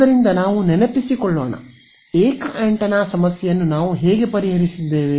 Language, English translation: Kannada, So, let us remind ourselves, how we solved the single antenna problem